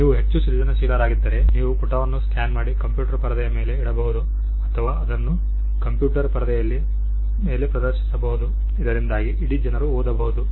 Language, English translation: Kannada, If you are more creative, you could scan the page and put it on a computer screen or project it on a computer screen and whole lot of people can read